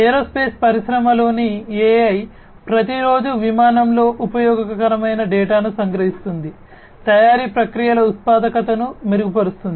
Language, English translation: Telugu, AI in the aerospace industry extracting useful data from every day of flight, improving productivity of manufacturing processes